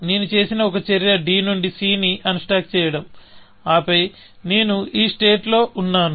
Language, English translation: Telugu, One action I have done is unstack c from d, and then, I was in this state